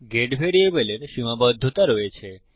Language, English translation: Bengali, The get variable has limitations